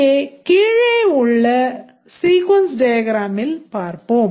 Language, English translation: Tamil, Let's see that we have this sequence diagram